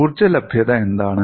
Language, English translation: Malayalam, And what is the energy availability